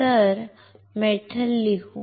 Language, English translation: Marathi, So, metal, let us write down here metal